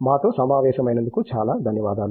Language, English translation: Telugu, I thank you very much for joining us